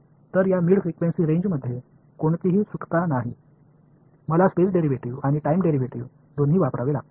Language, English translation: Marathi, So, in this mid frequency range there is no escape, I have to use both the space derivative and the time derivative ok